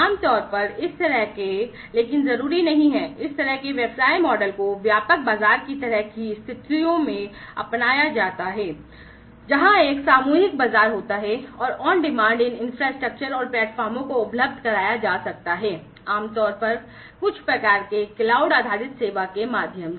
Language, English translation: Hindi, So, typically this kind of typically, but not necessarily; this kind of business model is an adopted in mass market kind of situations, where you know there is a mass market, and on demand these infrastructures and the platforms could be made available, typically through some kind of cloud based service